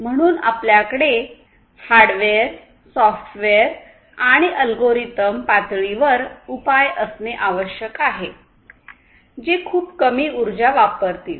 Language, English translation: Marathi, So, what you need to have is to have solutions at the hardware and the software and the algorithmic level which will consume very very low power